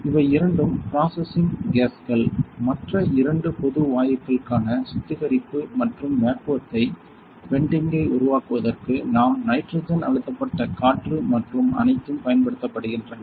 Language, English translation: Tamil, These two are processing gasses; the other two are for the purging and the creating vacuum venting for general gasses that we are that are used like nitrogen compressed air and all